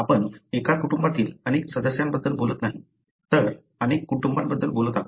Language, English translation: Marathi, We are not talking about multiple members in a family, but we are talking aboutmultiple families